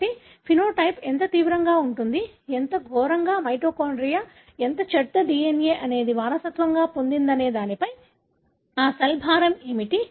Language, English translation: Telugu, So, how severe the phenotype depends on how, what is the burden of that cell in terms of how much of the bad mitochondria, how much of the bad DNA that it inherited